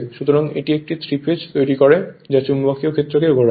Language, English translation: Bengali, So, it will create a 3 phase your what you call rotating magnetic field